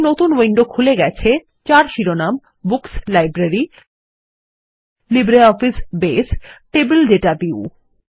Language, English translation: Bengali, A new window opens with the title Books – Library – LibreOffice Base: Table Data View